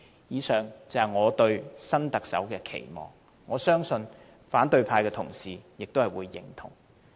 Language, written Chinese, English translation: Cantonese, 以上是我對新特首的期望，我相信反對派同事也會認同。, I believe Members from the opposition camp will also share my expectations for the next Chief Executive above